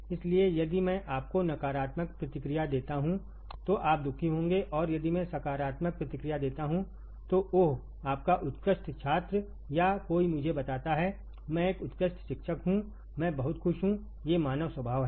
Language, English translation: Hindi, So, if I give you a negative feedback you will be unhappy and if I give positive feedback, oh, your excellent student or somebody tells me, I am an excellent teacher, I am very happy, these are the human nature